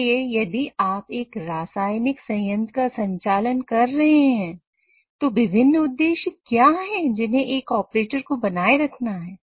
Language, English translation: Hindi, So when you are operating a chemical plant, you have to ensure that these are the different operational objectives or constraint within which you have to operate